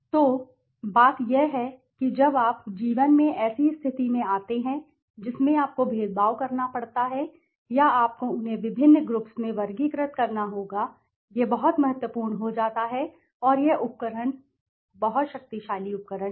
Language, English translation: Hindi, So, the point is when you are in life coming to such a situation where you have to discriminate or you have to classify them in to different categories there it becomes very important and this tool is a very very very powerful tool right